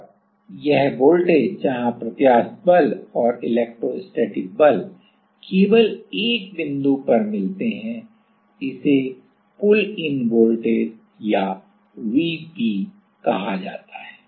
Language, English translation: Hindi, And, this voltage where we get just the elastic force and electrostatic force is matching only at a single point this is called pull in voltage or Vp